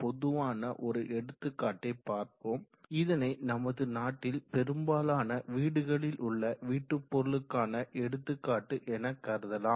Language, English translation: Tamil, So let us first take an example a very common example this can be considered as a household example in most of the homes in the country